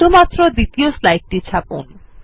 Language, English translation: Bengali, Print only the 2nd slide